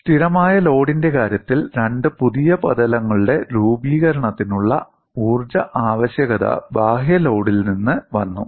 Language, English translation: Malayalam, In the case of a constant load, the energy requirement for the formation of two new surfaces came from the external load